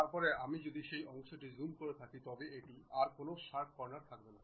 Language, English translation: Bengali, Then if we are zooming that portion it will not be any more a sharp corner